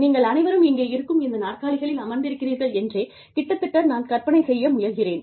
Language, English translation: Tamil, It is almost, I am trying to imagine in my head, that all of you, are sitting on these chairs